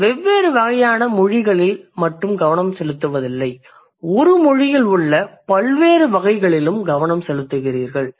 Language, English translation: Tamil, So you are not just focusing on different types of languages, you are also focusing on the different varieties within one language